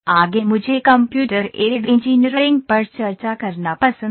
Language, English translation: Hindi, Next I like to discuss the Computer Aided Engineering